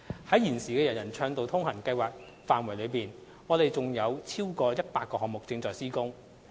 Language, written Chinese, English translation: Cantonese, 在現時的"人人暢道通行"計劃範圍內，我們仍有逾100個項目正在施工。, Under the current ambit of the UA Programme we still have over 100 items under construction